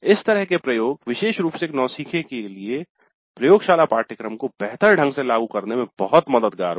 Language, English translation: Hindi, So, such an exposure itself, particularly for a novice, would be very helpful in implementing the laboratory course in a better fashion